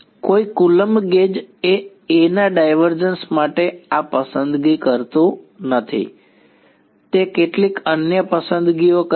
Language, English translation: Gujarati, No coulombs gauge does not make this choice for divergence of A it makes some other choices